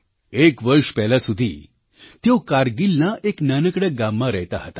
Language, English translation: Gujarati, Until a year ago, she was living in a small village in Kargil